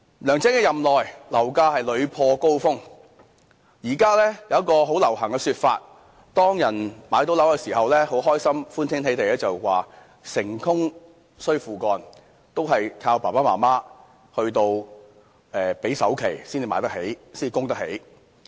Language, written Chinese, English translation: Cantonese, 梁振英在任內，樓價是屢破高峰，現在有一個很流行的說法，有人買到樓宇單位的時候歡天喜地的表示"成功需父幹"，原來是靠父母支付首期才買得起樓宇單位。, During the period of service of LEUNG Chun - ying the property prices repeatedly broke records . There is currently a common refrain among the successful home buyers that the hard work of father is needed for being successful to buy a flat for they need their parents money to pay the down payment of the property